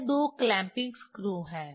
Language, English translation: Hindi, This two clamping screws are there